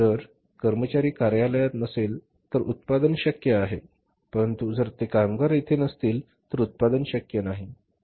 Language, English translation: Marathi, If the employee is not in the office the production is possible but if that worker is not there on the plant production is not possible